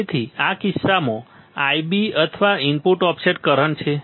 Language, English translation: Gujarati, So, in this case, I b or input offset current